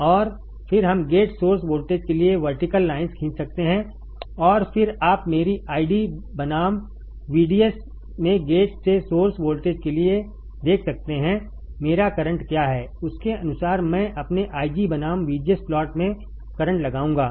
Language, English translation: Hindi, And then we can draw vertical lines for the gate source voltage and then you can see for gate to source voltage in my ID versus VDS, what is my current according to that I will put the current in my I g versus VGS plot this is how I derive my transfer characteristics for the enhancement type MOSFET